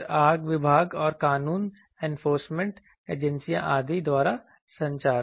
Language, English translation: Hindi, Then communication by fire department and law enforcement agencies etc